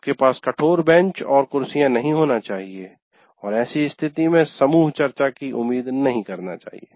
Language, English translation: Hindi, You cannot have rigid benches and chairs and expect what do you call group type of group discussions